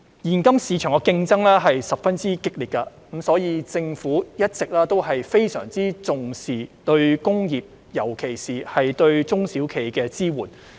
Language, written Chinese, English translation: Cantonese, 現今市場的競爭十分激烈，所以政府一直非常重視對工業，尤其是對中小企的支援。, In view of the fierce competitive in the market nowadays the Government has always attached great importance to industry particularly to the support provided to SMEs